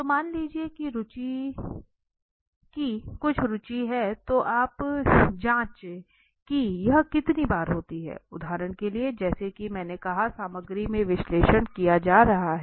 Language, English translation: Hindi, So suppose there is certain interest of thing of interest then what you can do is you can check how many times does it occur for example as I said the same thing being done in content analysis